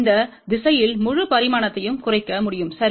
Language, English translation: Tamil, The entire dimension along this direction can be reduced ok